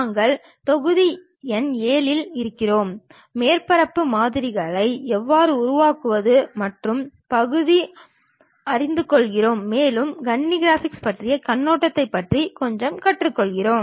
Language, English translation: Tamil, We are in module number 7, learning about how to construct surface models and further we are learning little bit about Overview on Computer Graphics